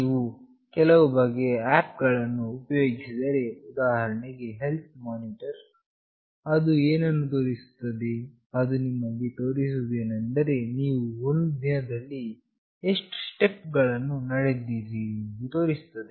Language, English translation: Kannada, If you have used some kind of apps like health monitoring, what it shows, it shows you that how many steps you have walked in a day